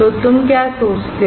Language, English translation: Hindi, So, what do you think